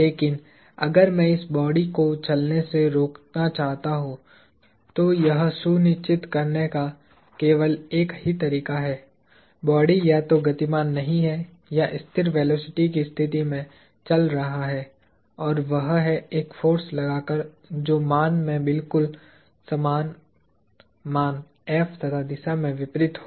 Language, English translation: Hindi, But, if I want to keep this block from not moving, there is only one way of making sure that, the block is either not moving or moving in a state of constant velocity, and that is by exerting a force that is exactly the same magnitude F in the opposite direction